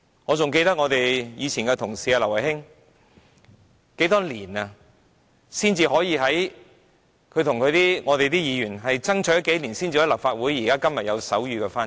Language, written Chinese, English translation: Cantonese, 我還記得以前的同事劉慧卿，她與其他議員同事不知爭取了多少年，才讓立法會會議增添手語傳譯。, I still remember how hard our former colleague Emily LAU together with other Members have fought for I know not for how many years the provision of sign language interpretation for the Legislative Council meetings